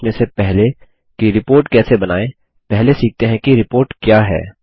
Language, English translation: Hindi, Before learning how to create a report, let us first learn what a report is